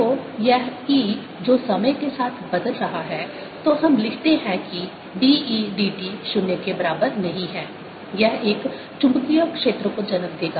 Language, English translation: Hindi, so this e which is changing with time so let's write that d, e, d, t is not equal to zero will give rise to a magnetic field